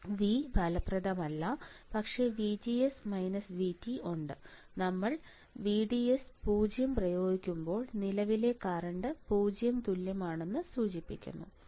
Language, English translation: Malayalam, Effective v effective is nothing, but VGS minus V T right we know that VDS equals to 0 implies current equals to 0 right when we applied VDS equals to 0